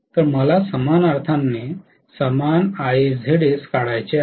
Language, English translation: Marathi, So I have to draw the same Ia Zs in the opposite sense